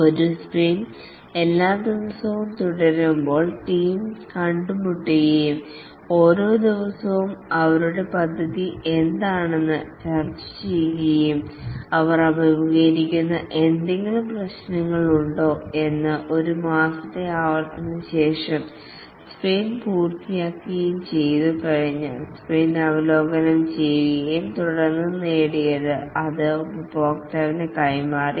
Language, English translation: Malayalam, A sprint as it continues every day the team meet and discuss what is their plan for every day and are there any problems that they are facing and after a month long iteration the, the sprint is completed, the sprint is reviewed for what has been accomplished and then it is delivered to the customer